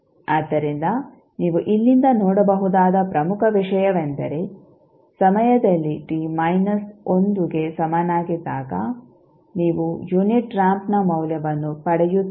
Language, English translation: Kannada, So, important thing which you can see from here is that at time t is equal to minus 1 you will get the value of unit ramp